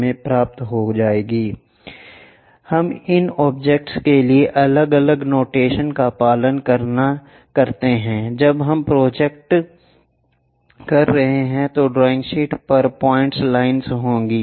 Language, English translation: Hindi, We follow different notations for these objects, when we are projecting there will be points lines on the drawing sheet